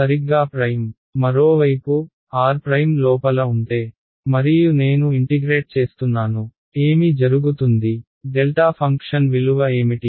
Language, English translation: Telugu, Prime exactly, on the other hand if r prime were inside here and I am integrating over v 1, what will happen what is the value of the delta function